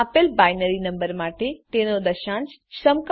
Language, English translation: Gujarati, Given a binary number, find out its decimal equivalent